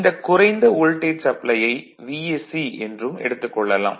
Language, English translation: Tamil, So, it is written here very low voltage supply and this is V s c